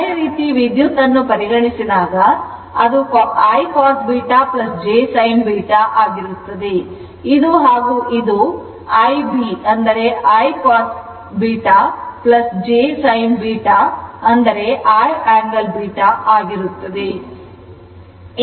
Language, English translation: Kannada, Similarly, current I told you it is I cos beta plus j I sin beta